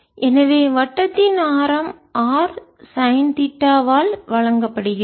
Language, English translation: Tamil, so the radius circle is given by r sin theta, so you can see v